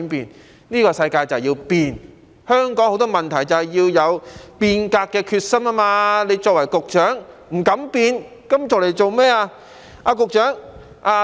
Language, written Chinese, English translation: Cantonese, 但是，這個世界就是要變，面對香港很多問題，就是要有變革的決心，他作為局長卻不敢變，那麼當局長有何用？, But the world precisely needs change . In the face of so many problems in Hong Kong it is necessary to have the determination to change . As the Secretary however he does not have the courage for change